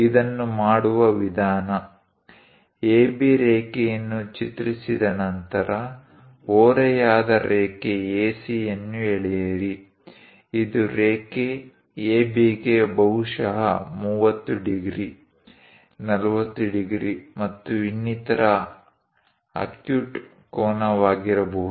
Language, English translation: Kannada, To do that, the procedure is after drawing line AB, draw a inclined line AC; this is the line, perhaps an acute angle like 30 degrees, 40 degrees, and so on to AB